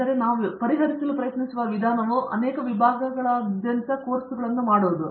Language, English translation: Kannada, So, the way we try to address this is to have them do courses across many disciplines